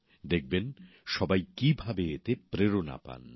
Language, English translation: Bengali, You will see how this inspires everyone